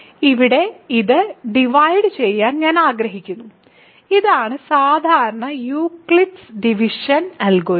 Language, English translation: Malayalam, So, here I want to divide this, this is the usual Euclidean division algorithm